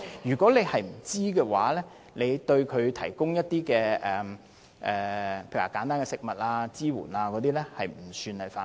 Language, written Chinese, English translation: Cantonese, 如果他不知道，而對該組織提供一些例如簡單的食物或支援，便不算犯法。, If he did not know that it is a terrorist organization and provided some simple food or support to the organization he has not committed any offence